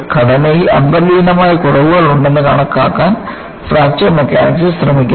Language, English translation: Malayalam, Fracture Mechanics attempts to account for the existence of inherent flaws in structures